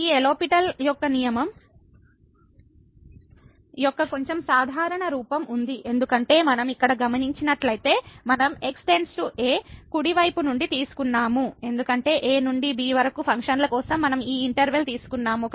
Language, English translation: Telugu, There is a slightly more general form of this L’Hospital’s rule, because if we note here that we have taken to from the right side because we had taken this interval for the functions to